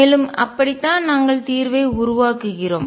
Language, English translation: Tamil, And that is how we build the solution